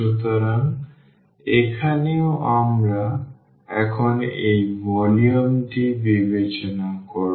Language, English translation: Bengali, So, here as well so, we will consider this sum now